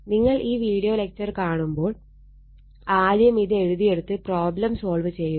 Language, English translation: Malayalam, When you read this video lecture, first you note it down right, then you solve the problem